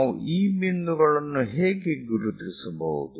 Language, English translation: Kannada, So, we can mark these points